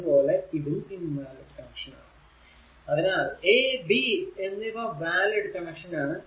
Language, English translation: Malayalam, So, a b are valid connection c d are invalid connection